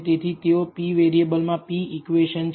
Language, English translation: Gujarati, So, these are p equations in p variables